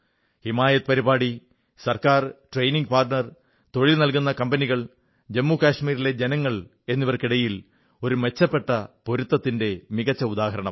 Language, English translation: Malayalam, The 'HimayatProgramme'is a perfect example of a great synergy between the government, training partners, job providing companies and the people of Jammu and Kashmir